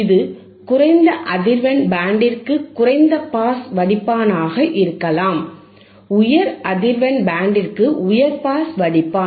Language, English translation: Tamil, Iit can be low pass filter than for low frequency band, high pass filter for high frequency band